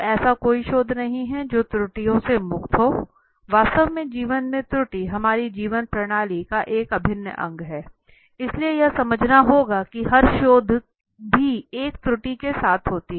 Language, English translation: Hindi, So there is no research which is free of errors in fact in life error is one integral part of our system, so one have to understand that every research also happens with an error